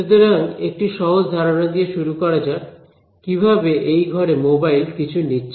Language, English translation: Bengali, So, let us start with this simple idea of mobile reception in room